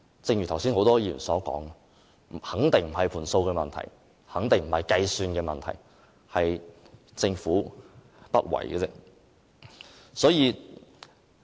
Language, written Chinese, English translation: Cantonese, 正如剛才很多議員所說，肯定不是"盤數"的問題，肯定不是計算的問題，而是政府不為。, As many Members remarked just now it is definitely not because of the unfavourable financial projections but because of the Governments reluctance to implement it